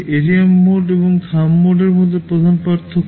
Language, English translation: Bengali, This is the main difference between the ARM mode and the Thumb mode